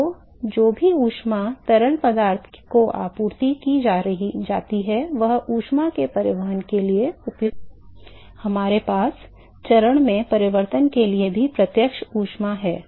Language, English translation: Hindi, So, whatever heat that is supplied to the fluid is what is being used for transport of heat we have sensible heat and also for change in the phase